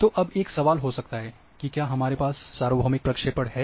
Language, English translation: Hindi, So, now there might be a question do we have universal projections